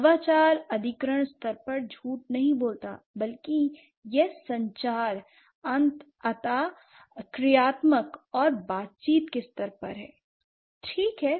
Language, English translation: Hindi, So, the innovation doesn't lie at the acquisition level, rather it lies at the communication, interactional and negotiation level